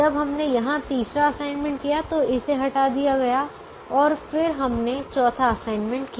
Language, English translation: Hindi, when we made the third assignment, here, this was eliminated